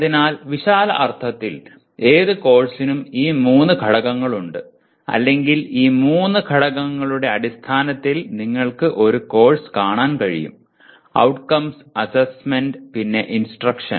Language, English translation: Malayalam, That is broadly, so any course has these three elements or you should be able to view a course in terms of these three elements; outcomes, assessment, and instruction